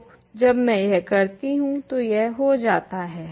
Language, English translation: Hindi, So, when I do that this goes away